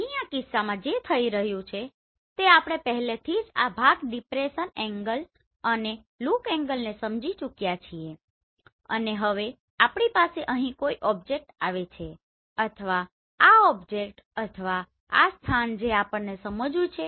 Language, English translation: Gujarati, Here in this case what is happening we have already understood this part depression angle and look angle and now we are having a object here or this object or this place we want to sense